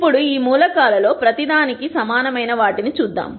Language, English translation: Telugu, Now, let us look at what each of these elements are equal to